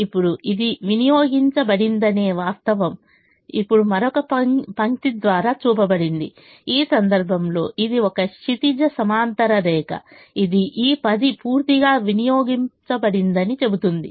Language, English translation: Telugu, now, the fact that this has been consumed is now shown by another line, which in this case is a horizontal line, which says that this ten has been completely consumed